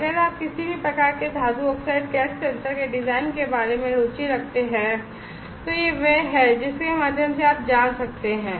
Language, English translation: Hindi, And if you are interested about the designs of any of these types of metal oxide gas sensor this is the one that you could go through